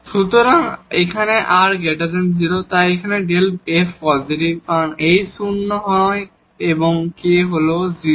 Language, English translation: Bengali, So, here r is positive, so this delta f is positive because, h is non zero and k is 0